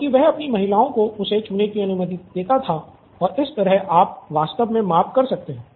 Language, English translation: Hindi, So he would allow his women to touch him and you could actually get the measurements done